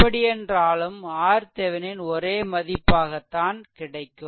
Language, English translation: Tamil, So, so R Thevenin may have a negative value